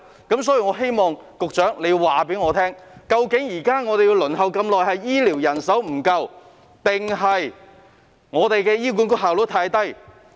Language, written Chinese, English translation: Cantonese, 因此，我希望局長告訴我們，現時輪候時間長是由於醫療人手不足，還是醫管局的效率太低呢？, Hence I ask the Secretary to tell us whether the long waiting time at present should be attributed to shortage of healthcare manpower or the low efficiency of HA?